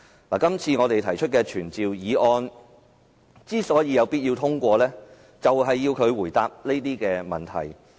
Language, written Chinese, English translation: Cantonese, 我們今次提出的傳召議案有必要通過，以要求司長回答這些問題。, Members should pass this summoning motion so that we can request the Secretary for Justice to come to the Legislative Council to answer those questions